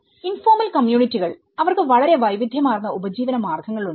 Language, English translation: Malayalam, And the informal communities, they have a very diverse livelihoods